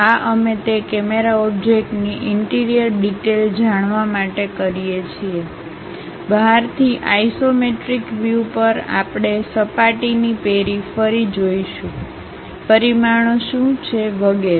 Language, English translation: Gujarati, This we do it to know interior details of that camera object, from outside at isometric view we will see the periphery of the surface, what are the dimensions and so on